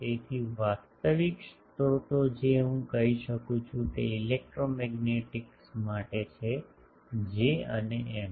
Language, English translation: Gujarati, So, actual sources I can say are for electromagnetics are J and M